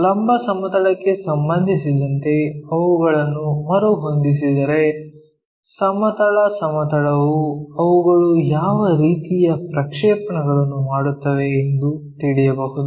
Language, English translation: Kannada, If they are reoriented with respect to the vertical plane, horizontal plane what kind of projections do they make